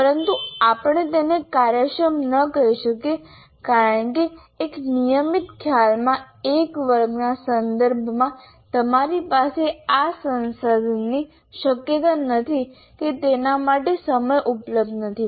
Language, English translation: Gujarati, But we cannot call it efficient because in a regular class with respect to one concept, you are not likely to have this resource nor the time available for it